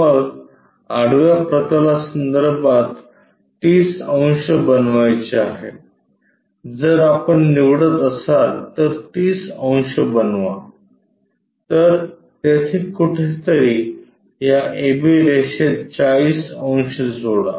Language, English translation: Marathi, Then it is suppose to make 30 degrees with respect to horizontal, if we are picking supposed to make 30 degrees, somewhere there join this line 40 degrees a b